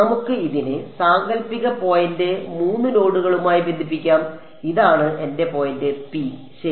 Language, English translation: Malayalam, Let us connect this, hypothetical point to the 3 nodes this is my point P ok